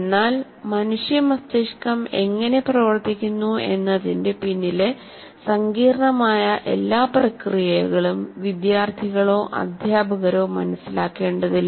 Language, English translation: Malayalam, But neither the students or teachers need to understand all the intricate processes behind how human brains work